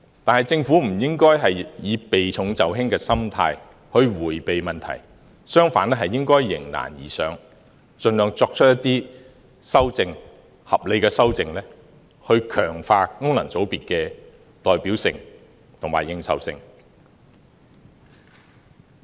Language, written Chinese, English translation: Cantonese, 但是，政府不應該以避重就輕的心態迴避問題，相反應該迎難而上，盡量作出一些合理的修正，強化功能界別的代表性和認受性。, However the Government should not choose the easier way out and avoid solving the difficult problems . Instead it should squarely face the difficulties and strengthen the representativeness and legitimacy of FCs by introducing reasonable legislative amendments